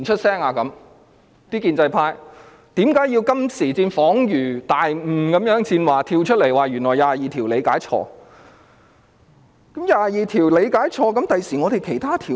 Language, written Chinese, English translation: Cantonese, 那些建制派為何到今時今日才恍然大悟般跳出來說，原來大家錯誤理解《基本法》第二十二條？, Why would this enlightenment merely come to those in the pro - establishment camp today and what makes them jump to the forefront to say that our interpretation of Article 22 of the Basic Law is wrong after all?